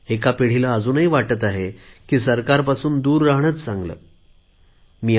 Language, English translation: Marathi, One generation still feels that it is best to keep away from the government